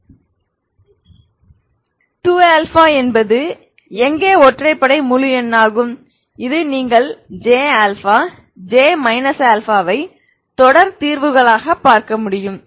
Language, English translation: Tamil, That is where 2 odd integer this is the case you could see that j alpha j minus alpha as series solutions